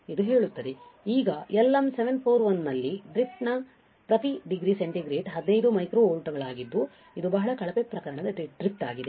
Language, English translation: Kannada, Now, for LM741 the worst case drift is 15 micro volts per degree centigrade this is a worst case drift